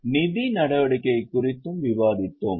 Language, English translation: Tamil, We also discussed financing activity